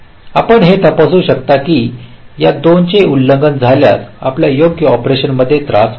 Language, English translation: Marathi, you can check if this two are violated, your correct operation will be disturbed